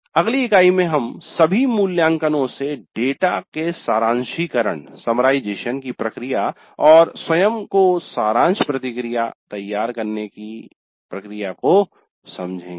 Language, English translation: Hindi, And in the next unit we will understand the process of summarization of data from all evaluations and the preparation of summary feedback to self